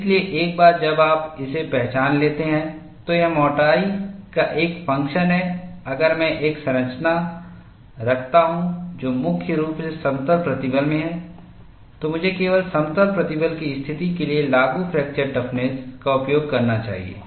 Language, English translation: Hindi, So, once you recognize it is a function of thickness, if I am having a structure which is primarily in plane stress, I should use only the fracture toughness applicable for plane stress situation